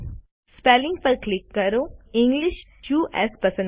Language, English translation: Gujarati, Click Spelling and select English US